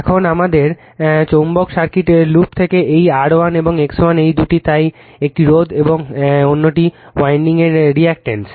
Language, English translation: Bengali, Now, from your from our from ourmagnetic circuit loop this R 1 and X 1 these are the two your therefore, a resistance and reactance of the winding